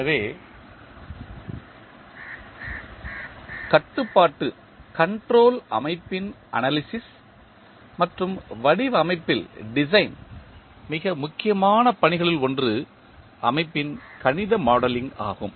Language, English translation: Tamil, So, one of the most important task in the analysis and design of the control system is the mathematical modeling of the system